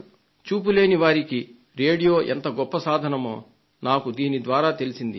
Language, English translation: Telugu, This made me realize how important the radio is for the visually impaired people